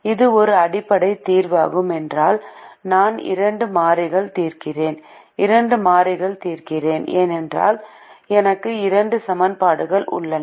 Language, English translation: Tamil, it is also a basic because i am solving for two variables, since i have two equations